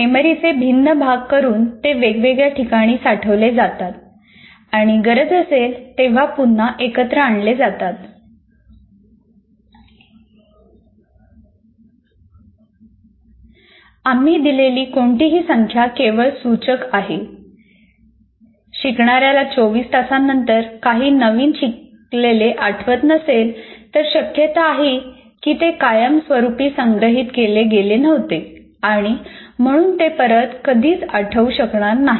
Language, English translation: Marathi, If a learner cannot recall new learning after 24 hours, you wait for something for 24 hours, if we cannot recall, there is a high probability that it was not permanently stored and thus can never be recalled